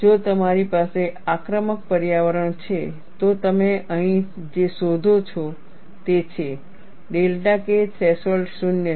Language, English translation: Gujarati, If you have an aggressive environment, what you find here is, the delta K threshold is 0